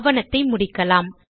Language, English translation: Tamil, Let me end the document